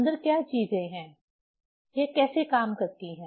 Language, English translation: Hindi, What are the things inside, how it works